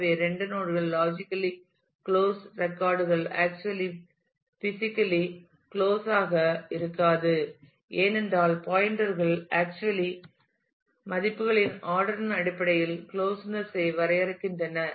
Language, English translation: Tamil, So, 2 nodes the records which are logically closed are may not actually be physically close, because the pointers actually define the closeness in terms of the ordering of the values